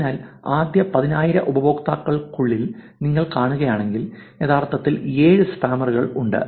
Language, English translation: Malayalam, So, if you see within the first 10,000 users there are actually 7 spammers, what does this mean